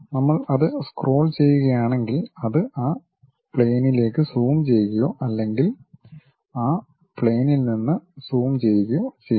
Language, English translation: Malayalam, If we are scrolling it, it zoom onto that plane or zooms out of that plane